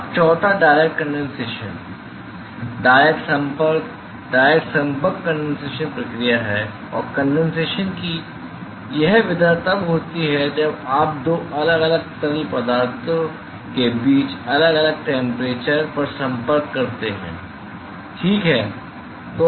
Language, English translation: Hindi, Now, the fourth one is the direct condensation, direct contact, direct contact condensation process and this mode of condensation occurs when you have contact between two different fluids at different temperature ok